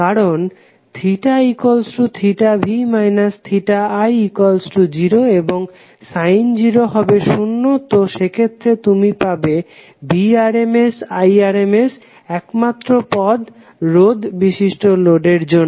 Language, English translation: Bengali, Because in this case theta v minus theta i will become 0 and sin 0 will be 0, so in that case you will have Vrms Irms only the term for purely resistive load